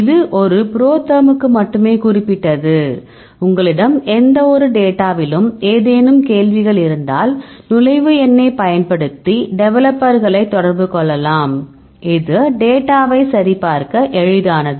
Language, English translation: Tamil, So, this is only specific to a ProTherm that, if you have any queries on any data, then you can contact the developers using the entry number; it is easy to check the data